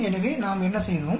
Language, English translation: Tamil, So, what did we do